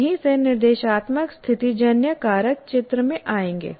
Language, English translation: Hindi, That is where the instructional situational factors will come into picture